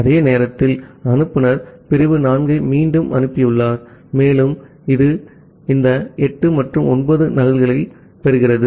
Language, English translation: Tamil, And at that time, the sender has retransmitted segment 4, and it was receiving this 8 and 9 duplicate acknowledgement corresponds to that